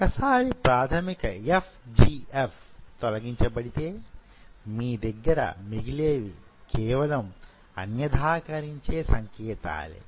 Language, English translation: Telugu, Once the basic FGF is removed, then what you are left with are only the differentiation signals